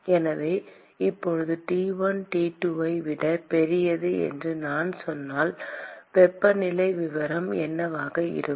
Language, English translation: Tamil, So, it is T1 and T2, I said T1 is greater than T2, so, what will be the temperature profile